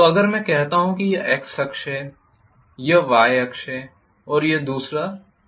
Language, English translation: Hindi, So If I say this is the X axis and this is the Y axis the other one is the Z axis